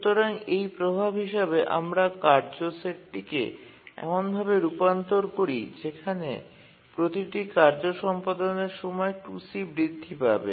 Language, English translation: Bengali, So in effect we just transform our task set into one where execution time of every task is increased by 2C